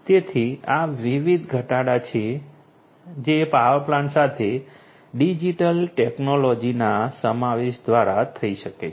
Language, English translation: Gujarati, So, these are these different reductions that can happen through the incorporation of digital technology with the power plant